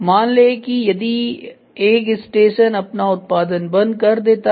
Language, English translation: Hindi, And suppose if one station stops its production